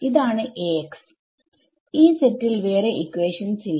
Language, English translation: Malayalam, This is your A x this is that set there is no other set of equations